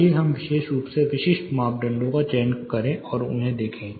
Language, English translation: Hindi, Let us specifically choose certain parameters and look at them